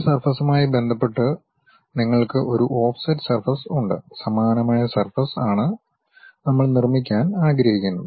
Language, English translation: Malayalam, You have one surface with respect to that one surface with an offset, similar kind of surface we would like to construct it